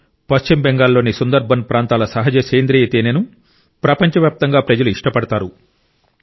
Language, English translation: Telugu, The natural organic honey of the Sunderbans areas of West Bengal is in great demand in our country and the world